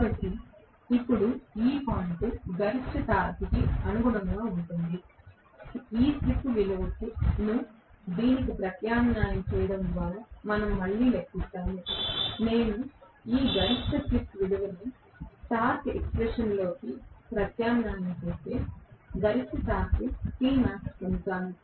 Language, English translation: Telugu, So, now this point which probably corresponds to the maximum torque right, that we will again calculate by substituting this slip value into this okay, if I substitute this maximum slip value into the torque expression I will get what is the maximum torque this is T max, we incidentally call that also as break down torque TBD